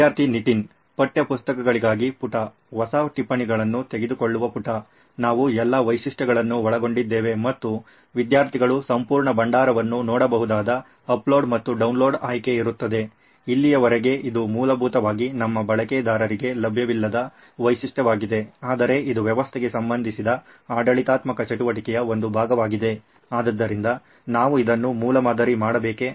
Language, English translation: Kannada, Page for textbooks, a page for taking new notes, we covered all the features and there will be the upload and download option where students can see the entire repository, so far this is essentially a feature that is not available for our users but it is part of the administrative activity related to the system, so do we have to prototype this as well or